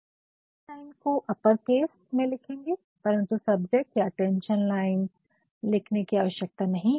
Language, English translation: Hindi, And the subject line will always be in upper cases, but then there is no need to mention subject or attention